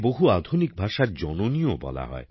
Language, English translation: Bengali, It is also called the mother of many modern languages